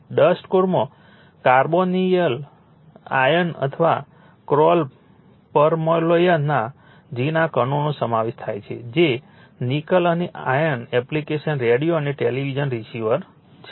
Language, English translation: Gujarati, Dust core consists of fine particles of carbonyl iron or your call permalloy that is your nickel and iron application radio and television receivers, right